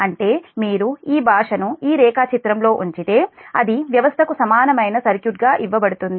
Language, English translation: Telugu, that means, if you put that, all this language in the diagram, that how it is given that equivalent circuit of the system